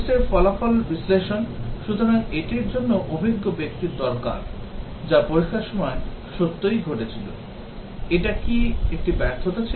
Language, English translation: Bengali, Test result analysis, so this also need experienced people, what really happened during the testing; was it a failure and so on